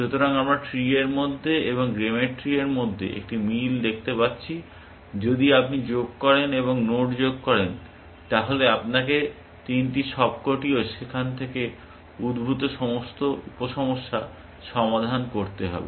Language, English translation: Bengali, So, we can see a similarity between and over trees and game trees, in and in and over trees, if you added and node, you had to solve all the three, all the sub problems emanating from there